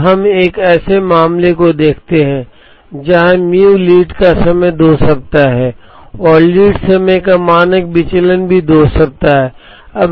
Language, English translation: Hindi, Now, let us look at a case where mu lead time is 2 weeks and standard deviation of lead time is also 2 weeks